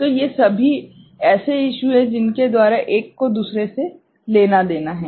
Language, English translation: Hindi, So, these are also issues by which one has to pick up one from the other